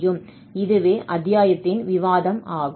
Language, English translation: Tamil, So, that will be the discussion of this chapter now